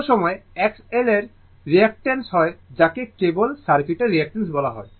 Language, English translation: Bengali, Sometimes, we call X L that is the reactance of the your what you call of the circuit only reactant